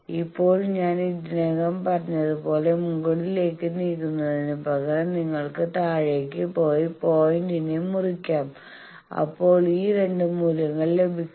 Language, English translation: Malayalam, Now as I already said that instead of moving upward you can further go and cut the point downward, these 2 values will get